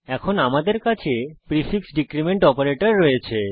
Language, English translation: Bengali, We now have the prefix decrement operator